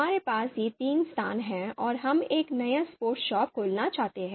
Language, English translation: Hindi, So we have these three you know locations and we are looking to open a new sports shop